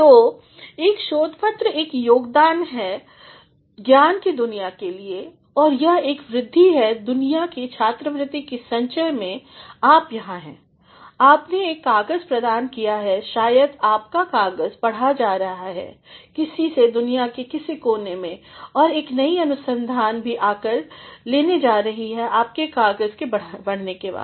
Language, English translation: Hindi, So, a research paper is a contribution to the world of knowledge and it is an addition to the accumulation of worlds scholarship, you are here, you have contributed a paper maybe your paper is being read by somebody in some corner of the world and a new research is also going to take shape after the extension of your paper